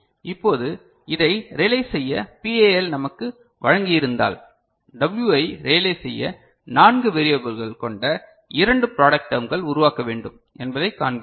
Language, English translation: Tamil, Now, if we have been given this you know PAL to realize it we see that for realizing W we need to generate two product term of four variables ok